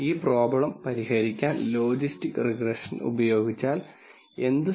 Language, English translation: Malayalam, So, let us see what happens if we use logistic regression to solve this problem